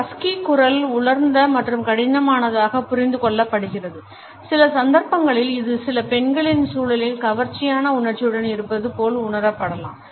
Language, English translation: Tamil, A husky voice is understood as dry and rough, in some cases it can also be perceived positively as being seductively sensual in the context of certain women